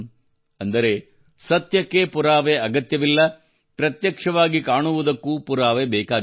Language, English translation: Kannada, That is, truth does not require proof, what is evident also does not require proof